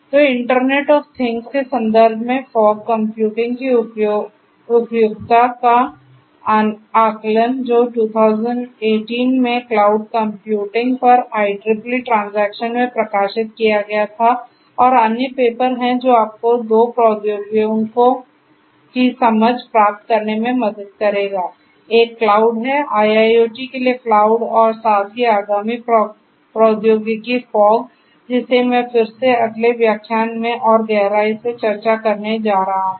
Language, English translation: Hindi, So, Assessment of the Suitability of Fog Computing in the Context of Internet of Things which was published in the IEEE Transactions on Cloud Computing in 2018 and so the other papers and this one together will help you to get an understanding of 2 technologies; one is cloud; cloud for IIoT and also the newer upcoming technology fog which I am going to again discussing further depth in the next lecture